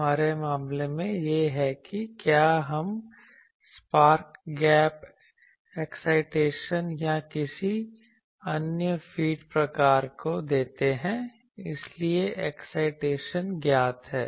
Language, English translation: Hindi, In our case it is the whether we give spark gap excitation or any other feed type of thing so excitation is known